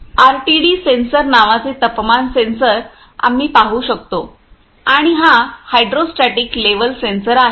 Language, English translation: Marathi, We can first see the see the what temperatures sensors called RTD sensors and this one is a hydrostatic level sensors